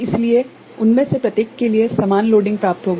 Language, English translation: Hindi, So, each one of them will be having equal loading right